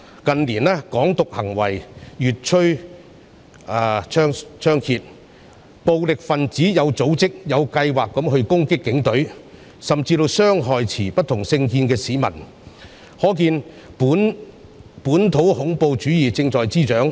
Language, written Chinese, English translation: Cantonese, 近年，"港獨"行為越趨猖獗，暴力分子有組織、有計劃地攻擊警隊，甚至傷害持不同政見的市民，可見本土恐怖主義正在滋長。, Violent radicals attacked the Police in an organized and planned manner . They even hurt members of the public holding political views different from theirs . It is evident that local terrorism is breeding